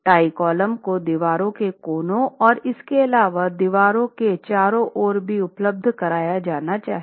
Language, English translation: Hindi, Tie columns must also be provided in addition at corners of walls and wherever you have intersections of walls